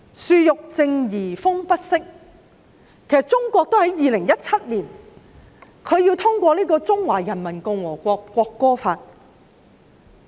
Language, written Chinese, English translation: Cantonese, "樹欲靜而風不息"，為甚麼中國要在2017年通過訂立《中華人民共和國國歌法》？, While the tree may long for calmness the wind will not subside . Why did China pass the Law of the Peoples Republic of China on the National Anthem in 2017?